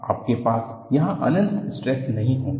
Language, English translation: Hindi, You will not have infinite stresses there